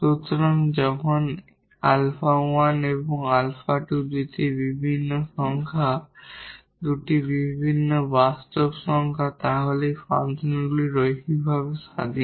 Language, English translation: Bengali, So, when alpha 1 and alpha 2 these are two different numbers, two different real numbers, so then these functions are linearly independent